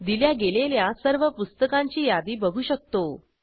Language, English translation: Marathi, We see a list of all the Books issued